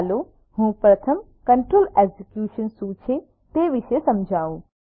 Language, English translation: Gujarati, Let me first explain about what is control execution